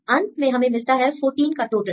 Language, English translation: Hindi, Finally, we get total of 14